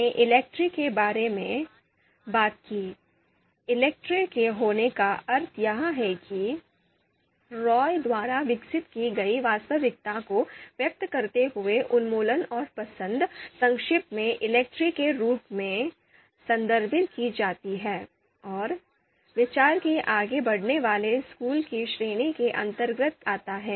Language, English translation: Hindi, So we talked about ELECTRE, the meaning of ELECTRE being that elimination and choice expressing the reality, developed by Roy, referred as you know briefly referred as ELECTRE in brief, belongs to the category of you know outranking school of thought